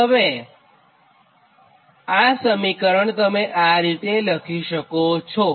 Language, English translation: Gujarati, i mean this equation we are rewriting